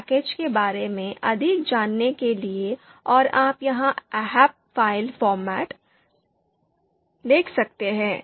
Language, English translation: Hindi, To understand more about this package and the you can see here ahp file format